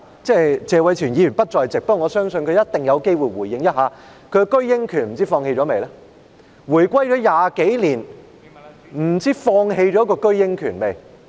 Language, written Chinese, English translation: Cantonese, 謝偉銓議員不在席，但我相信他一定有機會回應一下，不知道他是否已放棄自己的居英權？, Mr Tony TSE is not in the Chamber now but I believe he will surely have the opportunity to give a response . I wonder if he has renounced his right of abode in Britain